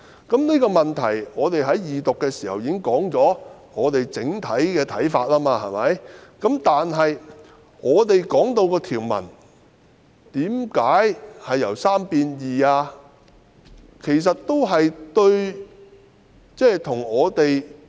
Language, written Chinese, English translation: Cantonese, 就這個問題，我們已在二讀辯論時提出整體的看法，但我們質疑條文為何由3名法官改為兩名？, Regarding this matter we already expressed our general views during the Second Reading debate but we have queries about the provisions ie . why is the number of judges changed from three to two?